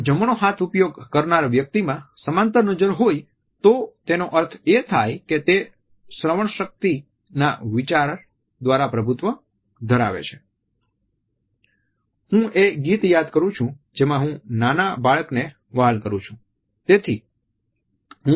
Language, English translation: Gujarati, If it is a parallel gaze in a right handed person it means that, it is dominated by the auditory thinking, I want to recollect the songs which I cherished is a young child